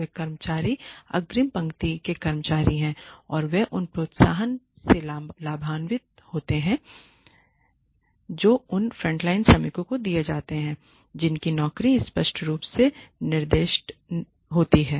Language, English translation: Hindi, These are the staff frontline staff employees and they do not get benefited by the incentives that are given to frontline workers whose jobs are clearly specified